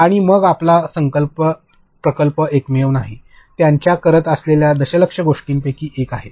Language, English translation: Marathi, And then your project is not the only one, it is one of their million things that they are doing